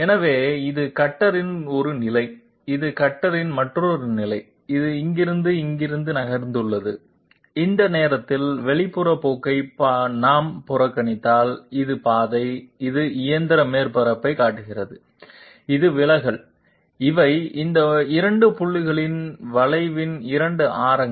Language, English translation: Tamil, So this is one position of the cutter, this is another position of the cutter, it has moved from here to here and if we ignore external gouging at this moment then this is the path, which shows the machine surface, this is the deviation, these are the 2 radii of curvature at these 2 points